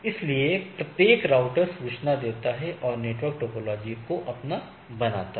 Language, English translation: Hindi, So, each router gives the information and make the network topology of its own